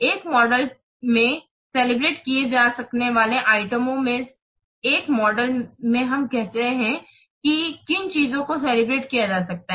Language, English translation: Hindi, Items that can be calibrated in a model include, let's see in a model what items can be calibrated